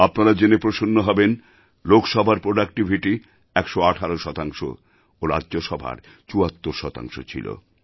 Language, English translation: Bengali, You will be glad to know that the productivity of Lok Sabha remained 118 percent and that of Rajya Sabha was 74 percent